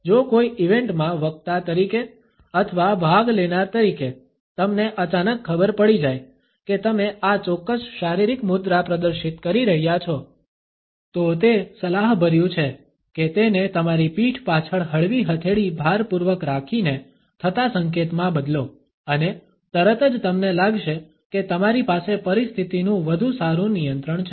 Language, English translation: Gujarati, If as a speaker in any event or as a participant you suddenly become aware that you are displaying this particular body posture, it would be advisable to change it to a relaxed palm in pump behind your back gesture and immediately you would feel that you have a better control of the situation